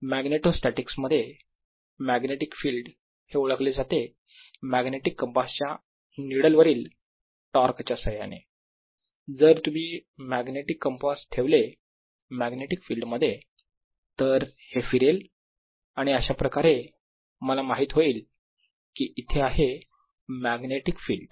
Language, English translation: Marathi, in magnetostatics magnetic field is identified by torque on a magnetic compass needle, so that if you put it in a magnetic field turns around right